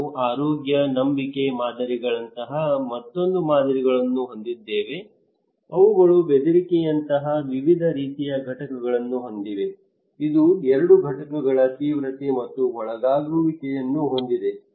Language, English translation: Kannada, Also we have another models like health belief models, they have various kind of components like threat which has two components severity and susceptibility